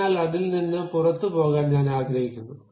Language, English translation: Malayalam, So, I would like to just go out of that